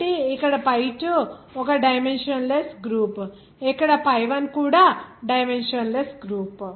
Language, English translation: Telugu, So here pi2 is one dimensionless group here pi 1 also dimensionless group